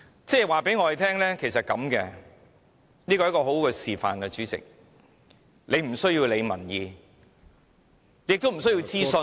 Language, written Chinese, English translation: Cantonese, 主席，這是很好的示範，就是不需要理會民意，也不需要諮詢......, President this is a very good demonstration of not having to pay heed to public opinion and not having to conduct consultation